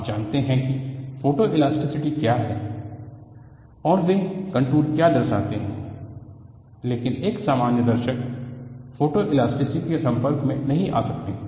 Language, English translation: Hindi, You know what is photoelasticity and what those contours represent, but for a general audience, they may not have an exposure to photoelasticity